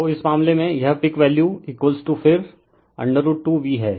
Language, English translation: Hindi, So, in this case, this peak value is equal to then root 2 V